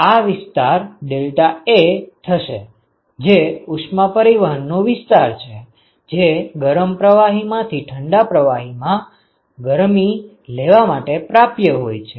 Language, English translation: Gujarati, So, this area is deltaA so, that is the area of heat transport which is available for taking heat from the hot fluid to the cold fluid